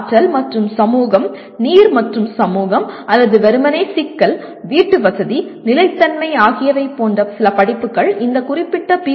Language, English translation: Tamil, Some courses like energy and society, water and society or merely complexity, housing, sustainability are some examples that can address this particular PO